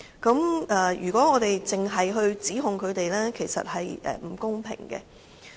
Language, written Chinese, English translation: Cantonese, 所以，如果我們只向他們作出指控，這便是不公平的。, For that reason it is unfair if we just make the accusations